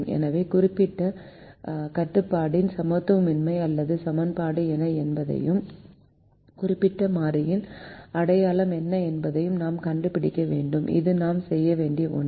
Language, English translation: Tamil, so we need to find out what is the inequality or equation of the particular constraint and what is a sign of the particular variable